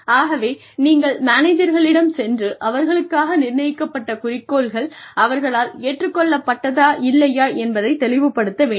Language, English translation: Tamil, So, you sort of, you go back to the managers, and find out, whether the objectives, that have been set for them, are even acceptable to them